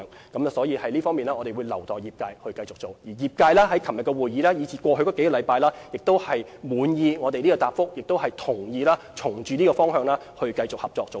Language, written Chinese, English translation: Cantonese, 因此，就着這方面，我們會留待業界繼續處理，而業界在昨天的會議和過去數星期的溝通，也表示滿意我們的答覆，並會循着這個方向繼續合作。, We thus need to strike a balance in our work . Hence we will leave this to the industry to tackle . The industry is satisfied with our replies made in the meetings yesterday and over the past week and we will continue to cooperate in this direction